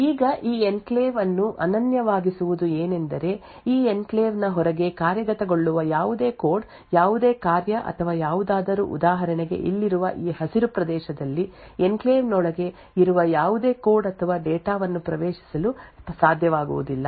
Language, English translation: Kannada, Now what makes this enclave unique is that any code, any function or anything which is executing outside this enclave for example in this green region over here will not be able to access any code or data present within the enclave